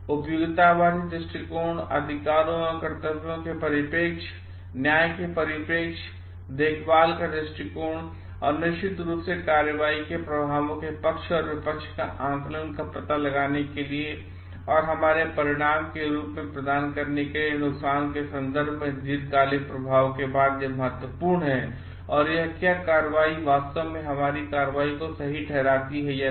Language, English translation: Hindi, So, it is very important to look at this from the utilitarian perspective, rights and duties perspective, justice perspective and of course, caring perspective to find out the pros and cons of the action and long term after effect of in terms of the harm provided as the consequence of our action and whether that really justifies our action or not